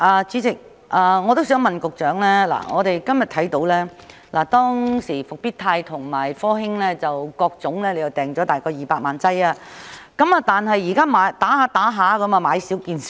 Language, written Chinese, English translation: Cantonese, 主席，我也想問局長，當時政府訂購復必泰和科興的疫苗是大約各200萬劑，但現已接種一段時間，疫苗已經"買少見少"。, President the Government ordered about 2 million doses each of Comirnaty and CoronaVac back then but after administering the vaccines for a while there are fewer and fewer doses left now